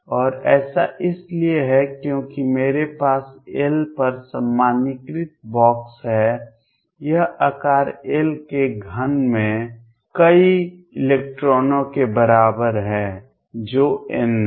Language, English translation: Hindi, And this is since I have box normalized over L this is equal to a number of electrons in cube of size L which is n right